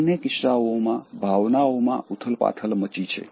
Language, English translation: Gujarati, In both cases, so emotions are getting stirred up